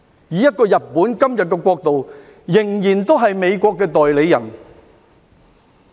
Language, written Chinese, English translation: Cantonese, 以日本今天這國度，仍然是美國的代理人。, Today this country of Japan is still an agent of the United States